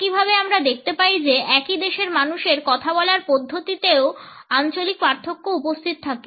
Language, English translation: Bengali, In the same way we find that the regional differences also exist in the way people speak within the same country